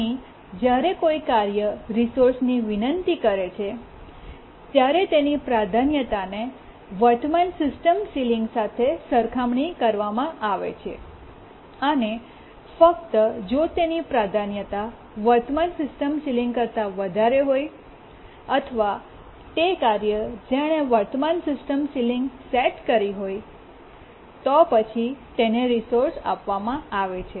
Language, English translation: Gujarati, Here when a task requests a resource, its priority is compared to the current system ceiling and only if its priority is more than the current system ceiling or it is the task that has set the current system ceiling it is granted a resource